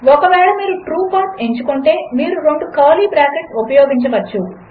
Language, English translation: Telugu, If you are going for the True path, you can use two curly brackets